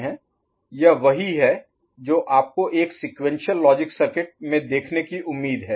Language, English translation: Hindi, This is what you are expected to see in a sequential logic circuit